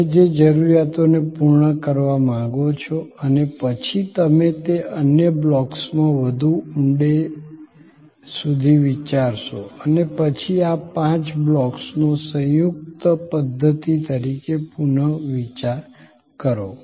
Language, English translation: Gujarati, The needs that you want to full fill and then, you dig deeper into those other blocks and then, rethink of these five blocks as a composite system